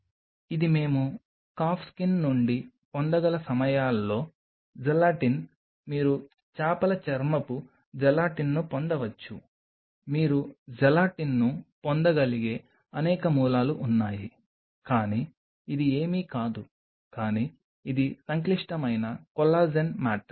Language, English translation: Telugu, This is gelatin at times could we get from Calf Skin, you can get fish skin gelatin there are several sources from where you can get the gelatin, but it is nothing, but it is a complex collagen matrix